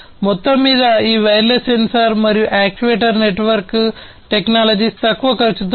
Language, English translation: Telugu, And overall this wireless sensor and actuator network technologies are low cost right